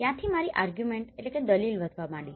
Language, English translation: Gujarati, That is where my argument started building up